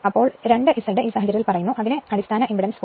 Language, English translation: Malayalam, So, 2 Z say in this case and it is given base impedance is given 0